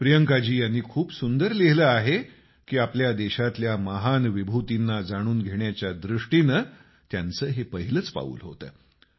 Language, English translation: Marathi, Priyanka ji has beautifully mentioned that this was her first step in the realm of acquainting herself with the country's great luminaries